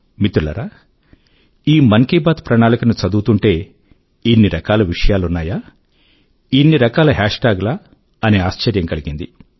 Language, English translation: Telugu, Friends, when I was glancing through this 'Mann Ki Baat Charter', I was taken aback at the magnitude of its contents… a multitude of hash tags